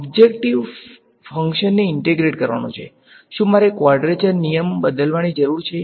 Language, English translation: Gujarati, Objective is to integrate the function, do I need to change the quadrature rule